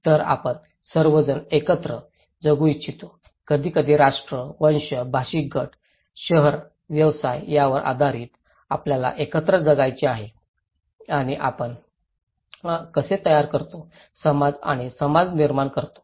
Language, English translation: Marathi, So, we all comprise, want to live together, sometimes based on nation, race, linguistic groups, town, occupations, we want to live together and thatís how we form, create society and community okay